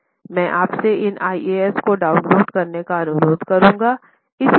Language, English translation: Hindi, I will request you to download the standards